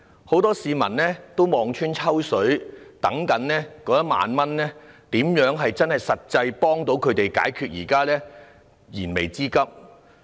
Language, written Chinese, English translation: Cantonese, 很多市民也望穿秋水，等待政府派發1萬元，獲得實際幫助，解決自己的燃眉之急。, Many people have been eagerly awaiting the cash handout of 10,000 so as to be given actual help to meet their own pressing needs